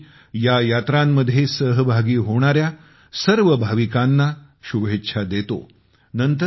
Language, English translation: Marathi, I wish all the devotees participating in these Yatras all the best